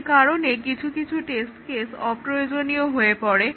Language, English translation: Bengali, So, some of the test cases become redundant